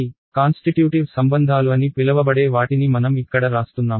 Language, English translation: Telugu, So, I am writing down these so called constitutive relations over here